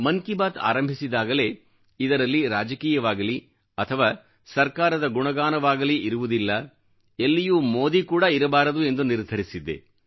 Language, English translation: Kannada, When 'Mann Ki Baat' commenced, I had firmly decided that it would carry nothing political, or any praise for the Government, nor Modi for that matter anywhere